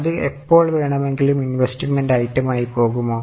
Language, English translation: Malayalam, Will it go as investing item any time